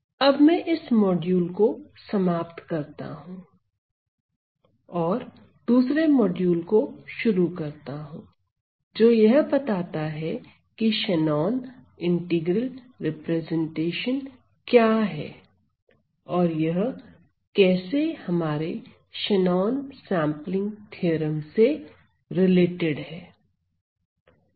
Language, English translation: Hindi, So, I am going to end this module and continue to the next module, describing what is this Shannon integral representation and how does it connect with our Shannon sampling theorem